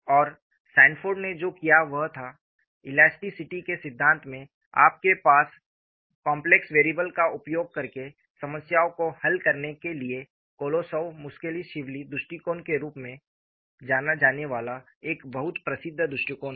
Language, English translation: Hindi, And what Sanford did was, in theory of elasticity you have a very famous approach known as Kolosov Muskhelishvili approach for solving problems using complex variables